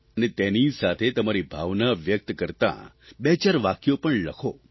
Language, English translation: Gujarati, And do pen a couple of sentences or couplets to express your feelings